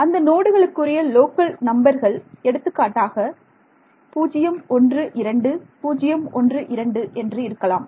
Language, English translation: Tamil, So, the local numbers of the nodes will be for example, 012 012 ok